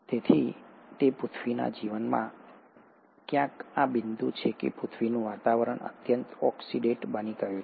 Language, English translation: Gujarati, So it is at this point somewhere in earth’s life that the earth’s atmosphere became highly oxidate